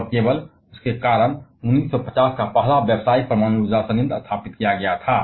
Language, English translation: Hindi, And because of that only 1950's first commercial nuclear power plant was established